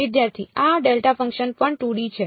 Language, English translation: Gujarati, This delta function also 2D right